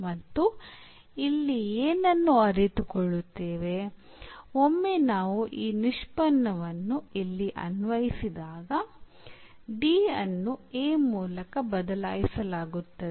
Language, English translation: Kannada, So, what we realize here once when we have applied this derivative here the D is replaced by this a